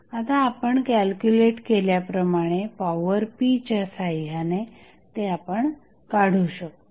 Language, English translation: Marathi, We find with the help of the power p, which we just calculated